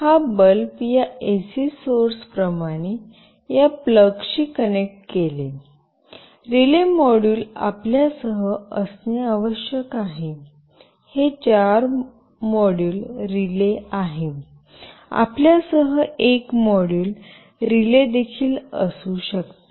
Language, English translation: Marathi, This bulb should be connected to this plug like this AC source, you must have a relay module with you, this is a four module relay, you can have a single module relay with you also